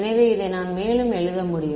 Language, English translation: Tamil, So, I can further write this as